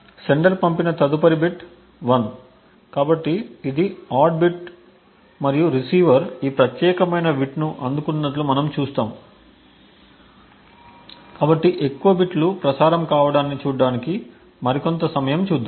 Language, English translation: Telugu, The next bit which is sent by the sender is 1, so this is the odd bit and we see that the receiver has received this particular bit, so let us look for some more time to see more bits being transmitted